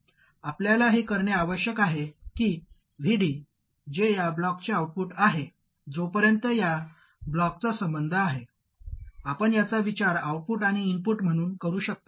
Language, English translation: Marathi, All it has to do is to make sure that VD, which is the output of this block, as far as this block is concerned, you can think of this as the output and this is the input